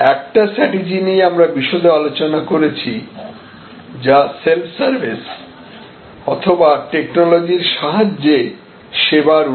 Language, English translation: Bengali, One of the strategies that we discussed a little bit more in detail is this self service or technology assisted service enhancement